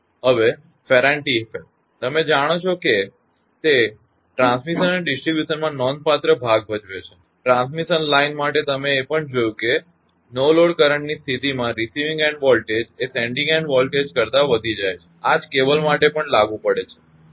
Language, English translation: Gujarati, Now Ferranti effect; you know so if a significant portion of the transmission and distribution; transmission line also you have seen that under no load condition the receiving and voltage is your what you call higher than the sending in voltage